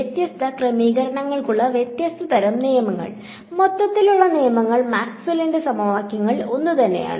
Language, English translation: Malayalam, These different kind of different laws for different settings, the overall laws are the same which are Maxwell’s equations